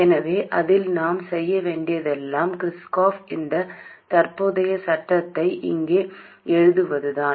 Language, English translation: Tamil, So all we have to do in that is to write the Kirkoff's current law here